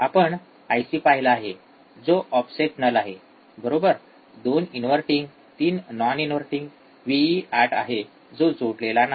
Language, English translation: Marathi, We have seen the IC from one which is offset null, right 2 inverting 3 non inverting Vee, right 8 is not connected